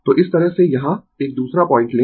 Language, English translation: Hindi, So, this way you take another point here